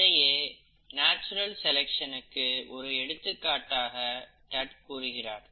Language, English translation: Tamil, So this was then presented by Tutt as a case of natural selection